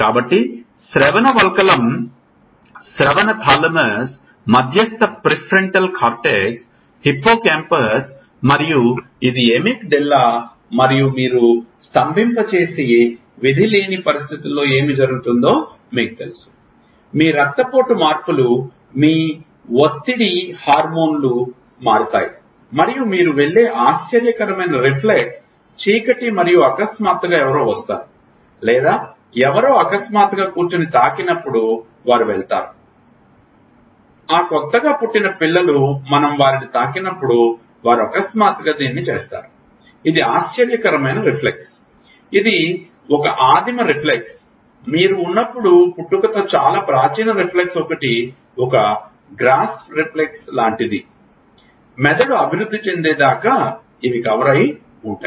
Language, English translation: Telugu, So, auditory cortex, auditory thalamus, medial prefrontal cortex, hippo campus and this is the Emic Della and you know what happens in a fateful situation you freeze, your blood pressure changes, your stress hormones changes and startle reflex you are going in a dark and suddenly somebody, comes or somebody sitting suddenly go and touch they will go like all kids have when that new born kids when we will touch them they will suddenly do this that is the startle reflex, which is a primitive reflex, when you are born there are a lot of primitive reflex one is a like grasp reflex or you put something they will always rooting reflex all these reflexes are covered when the brain matures